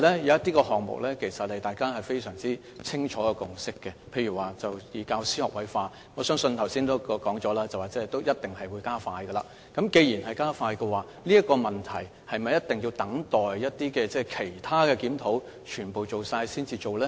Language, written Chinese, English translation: Cantonese, 一些項目其實大家已有清楚共識，例如教師學位化，我相信正如剛才已經說，是一定會加快的，既然會加快，是否一定要等待其他檢討全部完成後才進行呢？, My point is that in the case of certain issues such as the introduction of an all - graduate teaching force there is already a clear consensus . And as the Chief Executive pointed out just now the work on these areas will definitely be expedited . In that case why must we withhold actions on this issue until the completion of all other reviews?